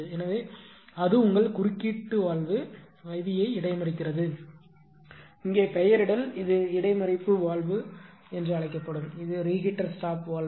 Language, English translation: Tamil, So, here it is your and it is intercept your intercept valve IV here it is there nomenclature this is intercept valve and, this is reheater stop valve right